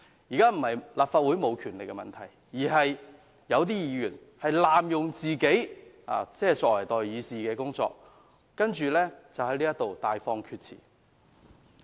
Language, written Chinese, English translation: Cantonese, 現時並非立法會沒有權力，而是有些議員濫用他們作為代議士的身份，在此大放厥辭。, It is not that the Legislative Council has no power; only that some Members have abused their status as representatives of public opinions to make irresponsible comments